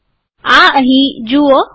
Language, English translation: Gujarati, See this here